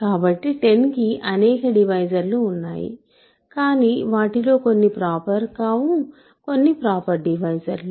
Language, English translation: Telugu, So, 10 has several divisors, but only some of them are not proper, some of them are proper